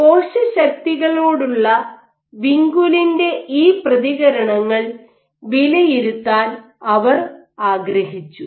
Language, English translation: Malayalam, What they first did was they wanted to evaluate the responses of this vinculin to cellular forces